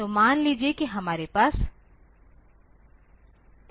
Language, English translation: Hindi, So, suppose we have suppose we have situation like this